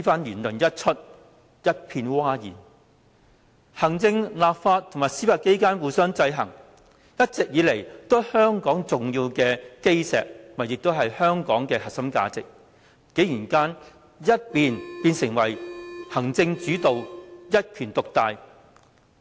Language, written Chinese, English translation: Cantonese, 言論一出，一片譁然，行政、立法及司法機關互相制衡，一直以來都是香港重要的基石及核心價值，竟然搖身一變成為行政主導、一權獨大。, The checks and balances among the executive legislative and judicial powers have all along been important cornerstones and core values of Hong Kong; yet this has surprisingly been turned into an executive - led system underpinning the dominance of one branch of government